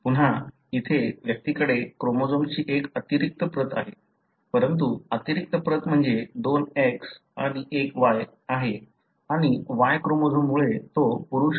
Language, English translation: Marathi, Again, here the individual is having one extra copy of the chromosome, but the extra copy is you have two X and one Y and he is male, because of the Y chromosome